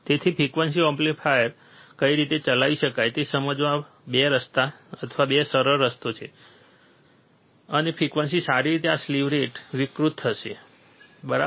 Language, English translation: Gujarati, So, there is a 2 way or easier way to understand at what frequency operational amplifier can be operated, and frequency well this slew rate will be distorted, right